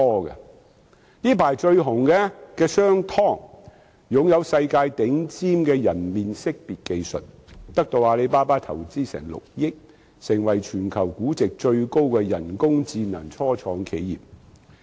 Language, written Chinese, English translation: Cantonese, 最近鋒頭一時無兩的商湯科技擁有世界頂尖人臉識別技術，得到阿里巴巴投資6億元，成為全球估值最高的人工智能初創企業。, SenseTime which has grabbed the limelight these days is the owner of a top - class face detection technology in the world and a 600 million investment from Alibaba has turned it into the highest valued artificial intelligence AI start - up in the world